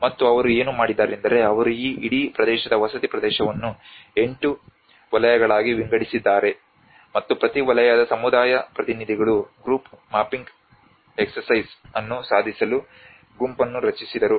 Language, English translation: Kannada, And that what they did was they divided this whole territory residential territory into 8 sectors and the community representatives from each sector formed the group to accomplish the group mapping exercise